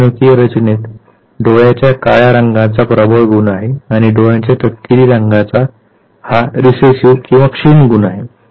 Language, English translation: Marathi, In your genetic makeup you have a dominant blackness of the eye ball, whereas you are recessive brownness of the eye